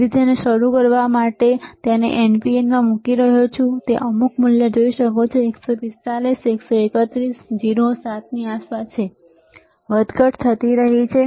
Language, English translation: Gujarati, So, he is placing this in NPN to start with, and he can see some value which is around 145, 131, 0, 7 keeps on fluctuating